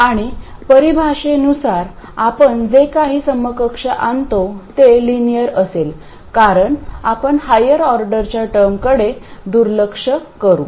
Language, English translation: Marathi, And by definition whatever equivalent we come up with will be linear because we will be neglecting all the higher order terms